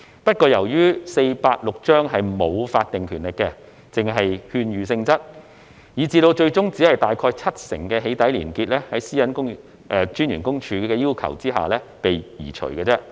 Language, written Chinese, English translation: Cantonese, 不過，由於《私隱條例》沒有法定權力，只屬勸諭性質，以致最終只有大概七成的"起底"連結在私隱公署的要求下被移除而已。, However as PDPO has no statutory power and is only of advisory nature in this regard only about 70 % of such links to doxxing contents have been removed upon PCPDs request